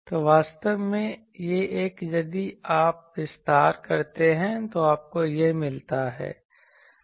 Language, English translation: Hindi, So, actually, this one if you expand you get this